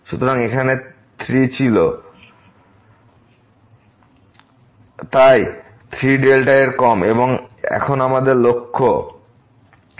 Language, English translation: Bengali, So, here 3 was there; so, less than 3 delta and what is our aim now